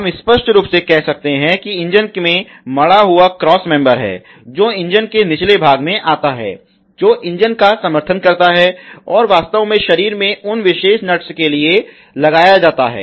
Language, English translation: Hindi, We can obviously, there is engine mountain cross member which comes in the bottom of the engine to support the engine which actually gets held to those particular nuts in the body